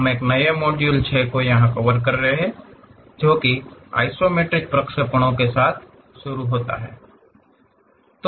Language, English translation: Hindi, We are covering a new module 6, begin with Isometric Projections